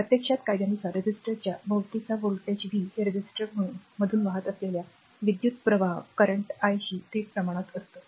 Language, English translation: Marathi, So, actually Ohm’s law states, the voltage v across a resistor is directly proportional to the current i flowing through the resistor